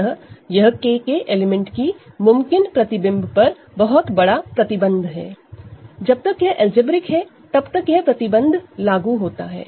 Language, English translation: Hindi, So, this is a very large restriction on what can be the possible image of an element in capital K, as long as it is algebraic that restriction applies